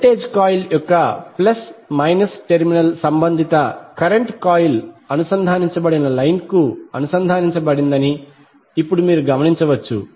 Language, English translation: Telugu, Now you also notice that the plus minus terminal of the voltage coil is connected to the line to which the corresponding current coil is connected